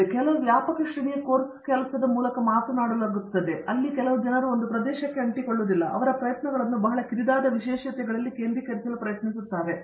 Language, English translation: Kannada, So, some of this is being addressed through this wide ranging course work, where people are not sticking to just one area and trying to focus their efforts in very narrow specialties